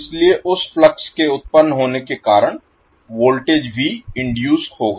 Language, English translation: Hindi, So because of that flux generated you will have the voltage V induced